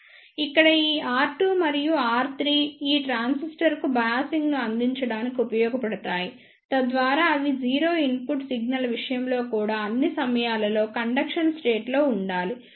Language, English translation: Telugu, Here this R 2 and R 3 are used to provide the biasing to this transistor so that they should remain in conduction state for all the time even in case of 0 input signal